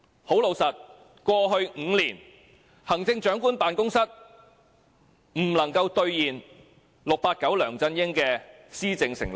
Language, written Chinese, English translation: Cantonese, 很老實說，過去5年，行政長官辦公室沒有兌現 "689" 梁振英的施政承諾。, Frankly speaking in the last five years the Chief Executives Office has failed to deliver the policy pledges 689 LEUNG Chun - ying has made